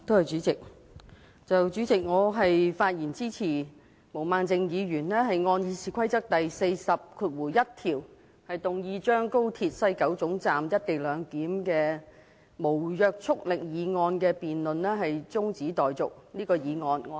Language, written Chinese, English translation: Cantonese, 主席，我發言支持毛孟靜議員按《議事規則》第401條，動議將廣深港高速鐵路西九龍站"一地兩檢"無約束力議案的辯論中止待續。, President I speak in support of Ms Claudia MOs motion moved under RoP 401 that the debate on the non - binding motion in relation to the co - location arrangement at the West Kowloon Station of the Guangzhou - Shenzhen - Hong Kong Express Rail Link XRL be now adjourned